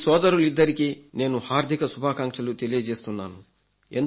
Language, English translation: Telugu, I would like to congratulate both these brothers and send my best wishes